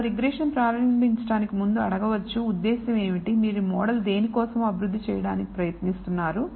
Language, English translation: Telugu, Before we even start the regression you ask what is the purpose, what are you trying to develop the model for